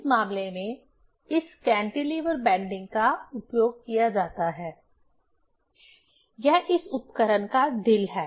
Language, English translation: Hindi, In this case, this cantilever bending is used; that is the heart of this instrument